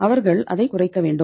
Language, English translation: Tamil, They should minimize it